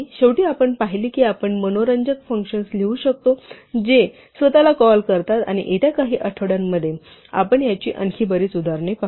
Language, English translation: Marathi, Finally, we saw that we can write interesting functions which call themselves and we will see many more examples of this in the weeks to come